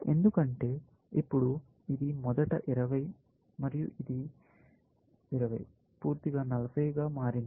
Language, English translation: Telugu, Because now, it was originally, 20 and this has become 15 plus 5; 20 plus 20; 40